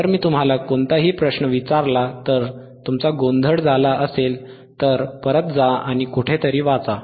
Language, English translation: Marathi, that iIf I ask you any question, if you wareere confused, you to go back and read somewhere all right;